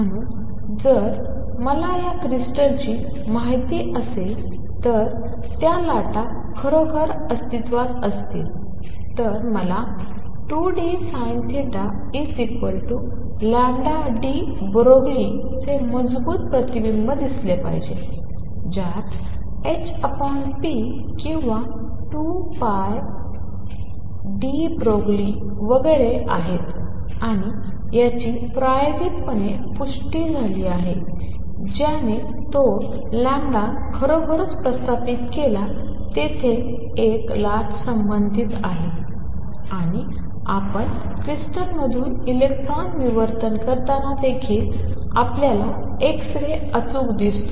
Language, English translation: Marathi, So, if those waves really exist if I know d of this crystal, I should see a strong reflection of 2 d sin theta equals lambda de Broglie, which has h over p or 2 lambda d Broglie and so on and this was confirmed experimentally which established that lambda indeed is there, there is a wave associated and you see exactly x ray like diffraction pattern even when you do electron diffraction from crystal